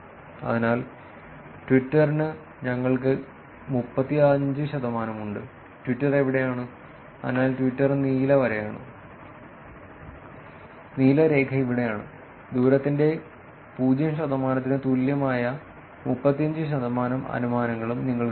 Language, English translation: Malayalam, So, you can see that for Twitter we have 35 percent, where is Twitter, so Twitter is blue line, blue line is here, 35 percent of the inferences with distance equal to 0